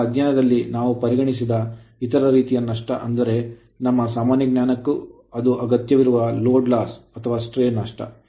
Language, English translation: Kannada, Now, other type of loss is which we will not consider in our study, but for our your general knowledge right sometime load or stray loss, we call